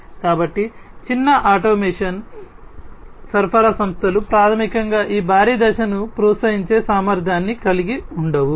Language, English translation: Telugu, So, small automation supplier firms basically lack the capability to incentivize this huge step